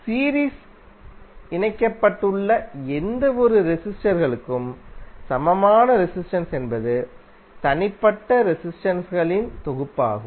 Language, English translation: Tamil, So, equivalent resistance for any number of resistors connected in series would be the summation of individual resistances